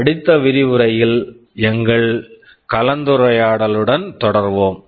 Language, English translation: Tamil, We shall be continuing with our discussion in our next lecture